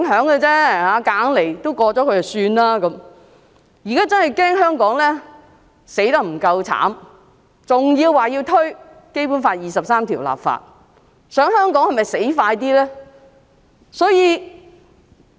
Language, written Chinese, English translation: Cantonese, 現在他們更好像恐怕香港死得不夠慘，還說要為《基本法》第二十三條立法，是否想香港死得更快呢？, Now it seems that they are worried that the situation of Hong Kong is not miserable enough hence they want to legislate for Article 23 of the Basic Law . Do they want Hong Kong to die more quickly?